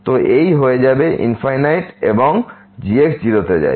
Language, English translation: Bengali, So, this will become infinity and goes to 0